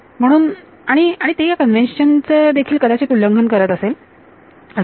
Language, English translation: Marathi, So, and it may violate that conventional also